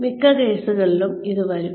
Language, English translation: Malayalam, It will come in most cases